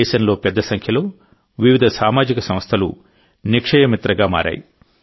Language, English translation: Telugu, A large number of varied social organizations have become Nikshay Mitra in the country